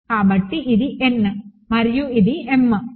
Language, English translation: Telugu, So, this is n and this is m